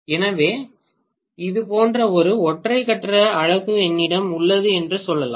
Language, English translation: Tamil, So let us say I have one single phase unit something like this